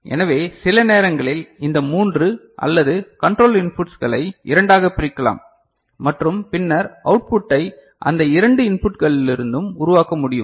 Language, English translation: Tamil, So, sometimes these three or you know, control inputs can be clubbed into two and all and subsequent output can be generated from those two inputs